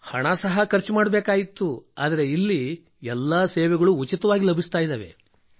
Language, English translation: Kannada, And money was also wasted and here all services are being done free of cost